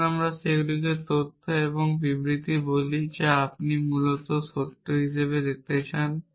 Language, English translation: Bengali, Let us call them facts and statements which you want to show to be true essentially